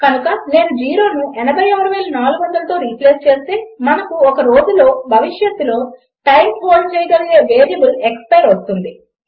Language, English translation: Telugu, So if I replace zero with 86400, we have the variable expire that now holds the time in the future by a day